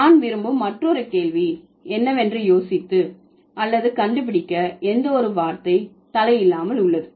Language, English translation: Tamil, And then the other question that I want you to think about or to figure out is is there any word which doesn't have a head